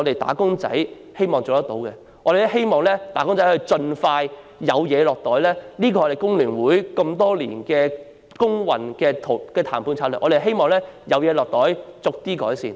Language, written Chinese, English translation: Cantonese, 我們希望能夠盡快增加"打工仔"的侍產假，這是工聯會多年來工運的談判策略，是希望有好處"落袋"，然後逐步改善。, We seek to increase wage earners paternity leave as soon as possible . The negotiation strategy adopted by FTU throughout the years is to pocket benefits first and then seek gradual improvements